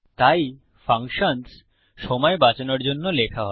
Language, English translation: Bengali, There you go So, functions are written to save time